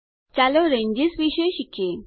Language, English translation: Gujarati, Lets learn about Ranges